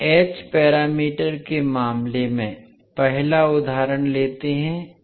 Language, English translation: Hindi, Let us take first the example in case of h parameters